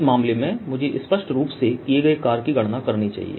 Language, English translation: Hindi, in this case i explicitly must calculate the work done